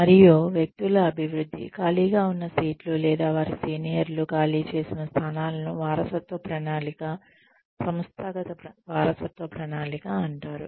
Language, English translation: Telugu, And, development of individuals, who can take on the seats vacated, or positions vacated by their seniors, is called succession planning, organizational succession planning